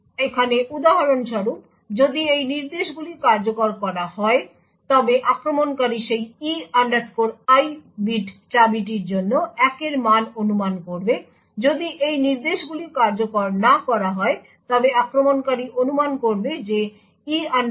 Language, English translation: Bengali, Example over here, if these instructions have executed then the attacker would infer a value of 1 for that E I bit of key, if these instructions have not been executed then the attacker will infer that the E I bit is 0